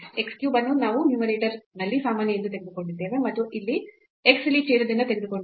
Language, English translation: Kannada, So, x cube we have taken common in the numerator and x here from the denominator